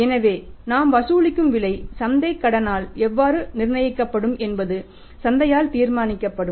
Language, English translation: Tamil, So, how was the price we are charging will be determined by the market credit will be determined by the market